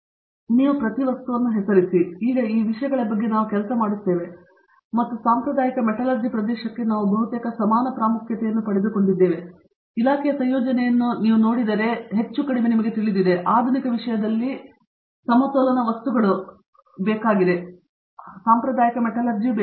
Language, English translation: Kannada, So, you name every material, now we have people working on these things and they have really taken almost equal importance to traditional metallurgy area that, if I look at the composition of the department is more or less you know, balanced in terms of modern materials and traditional metallurgy